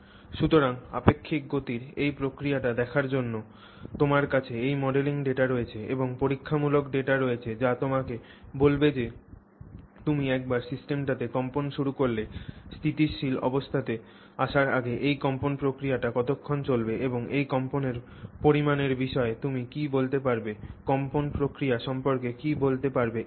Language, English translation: Bengali, So, you have this modeling data to do look at this process of relative motion and you have the experimental data which tells you that once you start vibrating the system, how long does it continue this vibration process before it settles down to know stationary conditions and what can what can you say about quantitatively what can you say about the vibration process that has happened